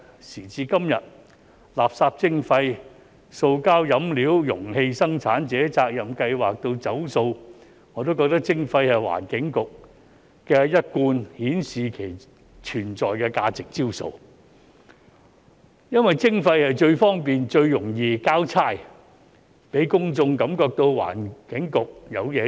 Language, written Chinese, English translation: Cantonese, 時至今日，垃圾徵費、塑膠飲料容器生產者責任計劃以至"走塑"，我也覺得徵費是環境局一貫顯示其存在價值的招數，因為徵費最方便、最容易"交差"，讓公眾感覺到環境局有做事。, Nowadays from waste charging to Producer Responsibility Scheme on Plastic Beverage Containers to promoting a plastic - free culture I think imposing charges is the Environment Bureaus usual tactic to show its value of existence because charging is the most convenient and easiest way to muddle through giving the public an impression that the Environment Bureau is doing their job